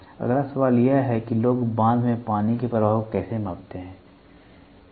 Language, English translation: Hindi, The next question is how do people measure the flow of water flow of water in a dam, ok